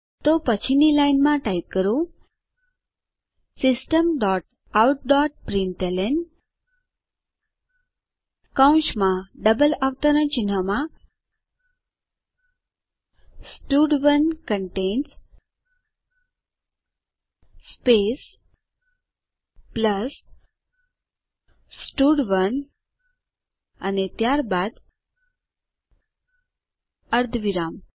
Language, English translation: Gujarati, So next line type System dot out dot println within brackets and double quotes stud1 contains space plus stud1 and then semicolon